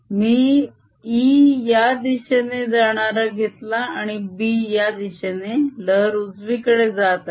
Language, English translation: Marathi, we have taken e going this way and b going this way, wave travelling to the right